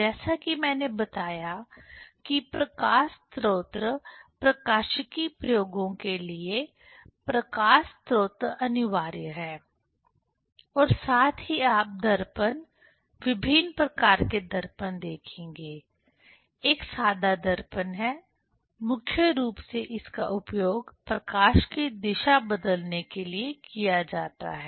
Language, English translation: Hindi, As I told that the light source is compulsory for optics experiments as well as you will see mirror, different kind of mirrors; one is plain mirror; mainly it is used for changing the direction of the light